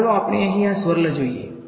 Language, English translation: Gujarati, Let us look at this swirl over here